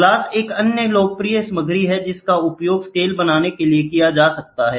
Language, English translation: Hindi, Glass is another popular material which is used for making scales